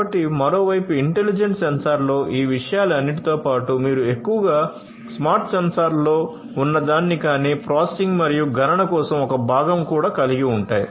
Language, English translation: Telugu, So, in addition to all of these things in the intelligent sensor on the other hand, you have mostly whatever is present in the smart sensors, but also a component for processing and computation